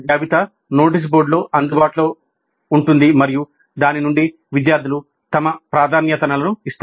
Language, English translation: Telugu, The list is available in the notice board and from that students give their preferences